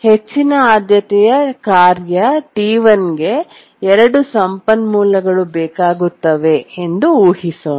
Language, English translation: Kannada, Let's assume that the highest priority task T1 needs several resources